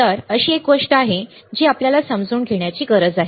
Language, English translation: Marathi, So, there is a something that we need to take care we need to understand